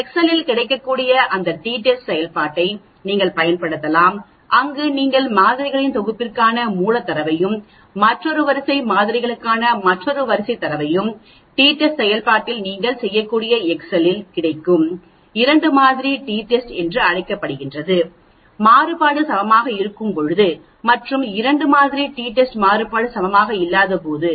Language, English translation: Tamil, You can use that t test function that is available in excel, where when you have the raw data for the set of samples and another row data for another set of samples in the t test function that is available in the excel you can do something called the two sample t test, when the variance are equal and the 2 sample t test the variance are not equal